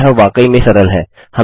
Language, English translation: Hindi, Now, this is really easy